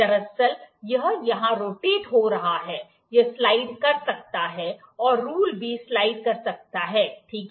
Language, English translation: Hindi, Actually, it is rotating here, it can slide rule can also slide, ok